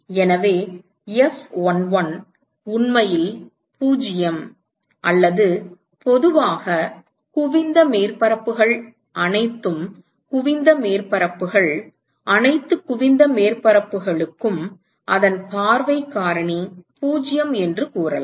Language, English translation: Tamil, So, F11 is actually 0 or in general one could say that convex surfaces, for all convex surfaces, for all convex surfaces the view factor of itself is 0